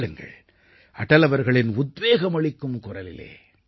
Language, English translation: Tamil, Listen to Atal ji's resounding voice